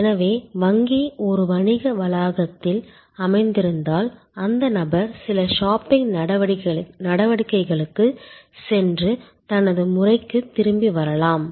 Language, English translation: Tamil, So, if the bank is located in a shopping complex, the person may go for some shopping activities and come back for his or her turn